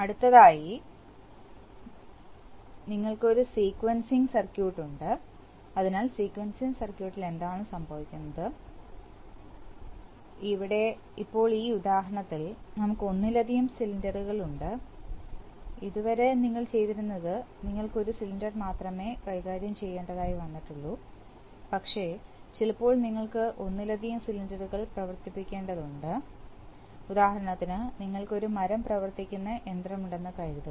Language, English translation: Malayalam, Next, we have a sequencing circuit, so in the sequencing circuit what is happening is that, here now in this example, we were, we have more than one cylinder, so far what we have been doing is that, we are, we have handled only one cylinder but sometimes it happens that you need to operate multiple cylinders and for example, suppose you have you have you have a wood working machine, right